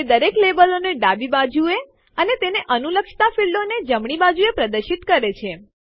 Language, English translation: Gujarati, It shows all the labels on the left and corresponding fields on the right